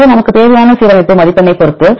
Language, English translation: Tamil, So, depending upon the alignment score we require